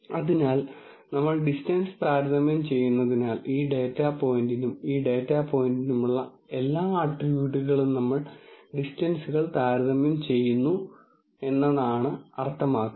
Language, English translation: Malayalam, So, since we are comparing distance, then that basically means every at tribute for this data point and this data point we are comparing distances